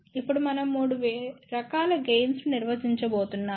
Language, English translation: Telugu, Now we are going to define 3 different types of gain